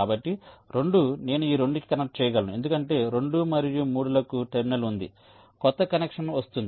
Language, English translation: Telugu, so two, i can connect to this two because there is a terminal for two and three